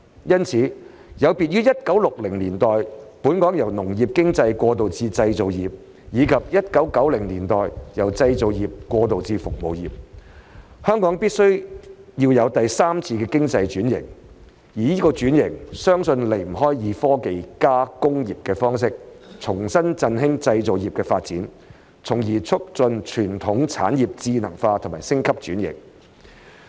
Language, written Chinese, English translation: Cantonese, 因此，有別於1960年代本港由農業經濟過渡至製造業，以及1990年代由製造業過渡至服務業，香港必須有第三次經濟轉型，而有關轉型相信離不開以"科技+工業"的方式重新振興製造業的發展，從而促進傳統產業智能化和升級轉型。, Therefore unlike the transition from an agricultural economy to the manufacturing industry in the 1960s and the transition from the manufacturing industry to the service industry in the 1990s Hong Kong must undergo a third economic transformation which is believed to be inseparable from the revitalization of the manufacturing industry by means of technologyindustry thereby promoting the intelligentization and upgrading of traditional industries